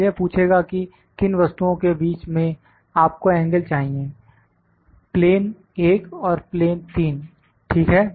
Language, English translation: Hindi, Now it will ask between which entities you need the angle, plane one and plane three, ok